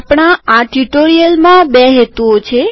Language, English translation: Gujarati, We have two objectives in this tutorial